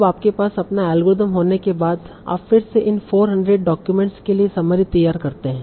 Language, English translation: Hindi, So now once you have your algorithm, you again produce the summary for these 400 documents